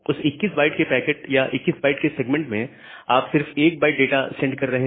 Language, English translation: Hindi, So, with that 21 byte of packet, packet or rather 1 byte of segment, you are sending only 1 byte of data